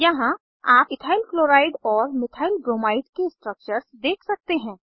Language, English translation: Hindi, Here you can see EthylChloride and Methylbromide structures